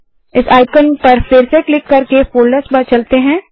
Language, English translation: Hindi, Let us go back to the folder by clicking this icon again